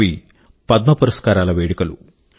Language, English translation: Telugu, And the ceremony was the Padma Awards distribution